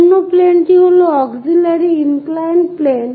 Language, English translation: Bengali, The other plane is auxiliary inclined plane